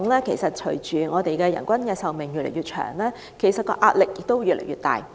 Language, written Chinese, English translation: Cantonese, 事實上，隨着人均壽命越來越長，香港醫療系統承受的壓力亦越來越大。, As a matter of fact with an increasing average life expectancy the pressure on Hong Kongs healthcare system has also grown